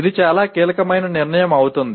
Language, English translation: Telugu, It can become a very crucial decision